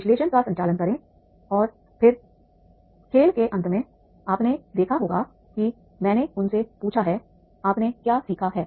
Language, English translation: Hindi, Conduct the analysis and then at the end of the game you must have seen that is I have asked them what what you have learned